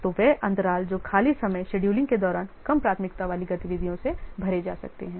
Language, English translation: Hindi, So those gaps, those three times can be what filled by the lower priority activities during scheduling